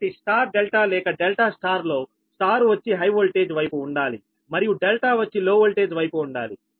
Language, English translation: Telugu, so star delta or delta, star star side should always be at the high voltage side and delta should be always low voltage side